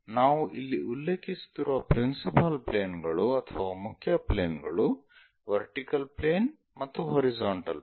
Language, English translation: Kannada, The principle planes or the main planes what we are referring are vertical planes and horizontal planes